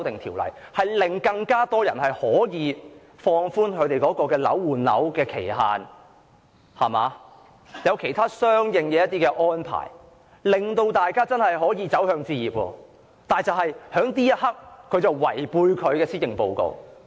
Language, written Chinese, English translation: Cantonese, 《條例草案》可放寬換樓的期限，並訂有其他相應安排，令更多市民可以真正走向置業，但就在這一刻，她卻違背其施政報告。, The Bill allows the time limit for property replacement to be relaxed and provides for other corresponding arrangements to enable more people to really move towards home ownership . But at this very moment she goes against her Policy Address